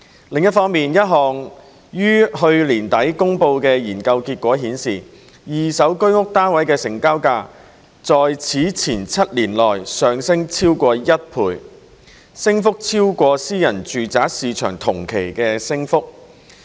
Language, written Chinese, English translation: Cantonese, 另一方面，一項於去年底公布的研究結果顯示，二手居屋單位的成交價在此前7年內上升超過一倍，升幅超過私人住宅市場同期的升幅。, On the other hand the findings of a study released at the end of last year show that the transaction prices of second - hand HOS flats have risen by more than one - fold over the preceding seven years representing a rate of increase higher than that in the private residential market during the same period